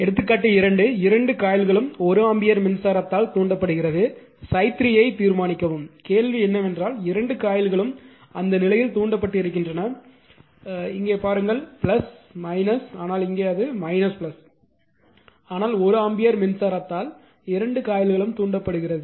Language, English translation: Tamil, Example 2 when both the coils are excited by 1 ampere current; determine phi 3 right so, question is that the both the coils are excited in that case, look here is plus minus here it is actually if you look into that here it is plus minus, but here it is plus minus, but 1 ampere current both the coils are excited